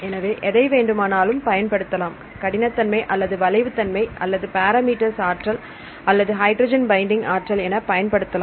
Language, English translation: Tamil, So, you can use any parameter or any property right, say rigidity or the flexibility or the binding energy or hydrogen bonding energy